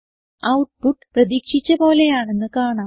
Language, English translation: Malayalam, As we can see, the output is as expected